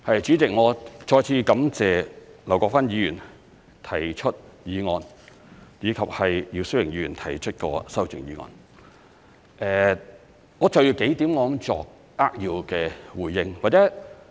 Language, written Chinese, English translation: Cantonese, 主席，我再次感謝劉國勳議員提出議案，以及姚思榮議員提出的修正案，我就着幾點作扼要的回應。, President I would like to thank Mr LAU Kwok - fan once again for moving the motion and Mr YIU Si - wing for proposing the amendment and I would like to briefly make a few points in response